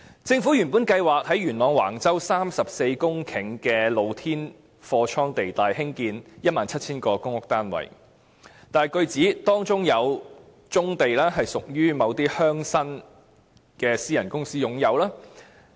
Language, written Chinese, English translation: Cantonese, 政府原計劃在元朗橫洲34公頃的露天貨倉地帶興建 17,000 個公屋單位，但據指，當中有棕地屬於某些鄉紳的私人公司擁有。, The Government originally planned to build 17 000 public housing units on 34 hectares of open storage land at Wang Chau Yuen Long . But information has it that the area covers some brownfield sites owned by the private companies belonging to certain local leaders